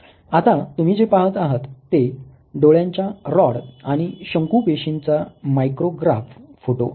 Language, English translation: Marathi, What you see now is a photo micrograph of the rod in the cone cells in the eyes